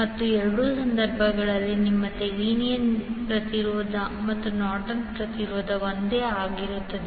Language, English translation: Kannada, And in both of the cases your Thevenin’s impedance and Norton’s impedance will be same